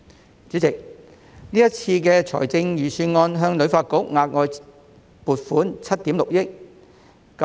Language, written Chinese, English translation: Cantonese, 代理主席，今次預算案向旅發局額外撥款7億 6,000 萬元。, Deputy President this Budget provides an additional provision of 760 million to HKTB which likewise received an additional funding last year